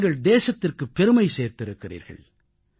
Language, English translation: Tamil, You have brought glory to the Nation